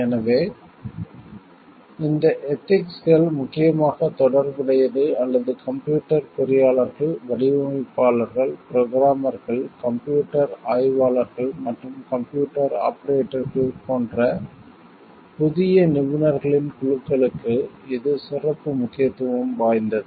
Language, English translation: Tamil, So, this ethics is mainly concerned with or it is holds special importance for a new groups of professionals like computer engineers, designers, programmers system analysts and computer operators